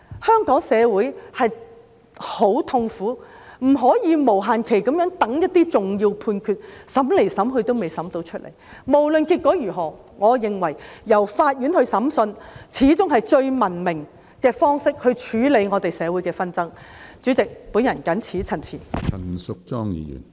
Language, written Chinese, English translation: Cantonese, 香港社會很痛苦，不能無限期地等一些重要判決，審來審去仍未有判決，無論結果如何，我認為由法院來審訊始終是處理我們社會紛爭最文明的方式。, The Hong Kong society is in pain and cannot wait indefinitely for certain important judgments which seem to be still far away from us . No matter the outcome I think court hearings are still the most civilized way to deal with our social conflicts